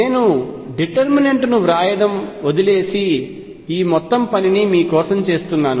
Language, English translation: Telugu, I leave the writing that determinant and working this whole thing out for you